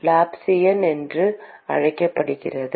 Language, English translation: Tamil, Called the Laplacian